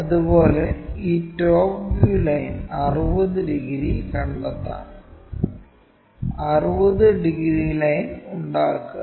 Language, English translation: Malayalam, Similarly, let us locate this top view line 60 degrees, make 60 degrees line